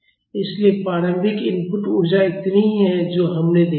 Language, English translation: Hindi, So, the initial input energy is equal to this much that also we have seen